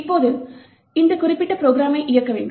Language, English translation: Tamil, Now, in order to execute this particular program